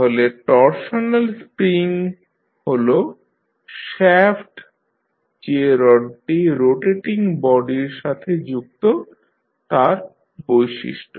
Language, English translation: Bengali, So, torsional spring is the property of the shaft or the rod which is connected to your rotating body